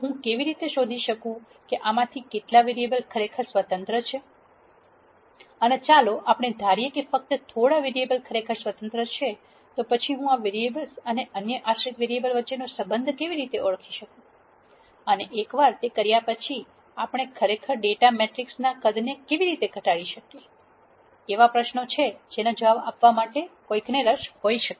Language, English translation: Gujarati, So, how do I nd out how many of these vari ables are really independent and let us assume that I do and that only a few variables are really independent, then how do I identify the relationship between these variables and the other dependent variables and once I do that how do we actually reduce the size of the data matrix and so on; are questions that one might be interested in answering